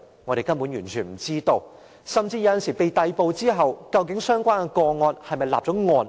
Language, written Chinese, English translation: Cantonese, 甚至有時候，有關人士被逮捕後，究竟其個案是否已立案？, Sometimes even after the person in question has been arrested is his case actually filed?